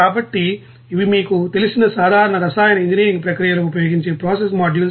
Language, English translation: Telugu, So, these are the common you know process modules that is being used in chemical engineering process